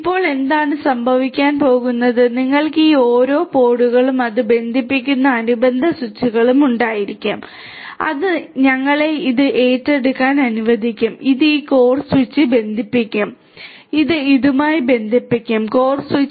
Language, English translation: Malayalam, Now what is going to happen is, you will have each of these pods each of these pods and the corresponding switches to which it connects, this will be let us take up this one, this one will be connected to this core switch, this will be connected to this core switch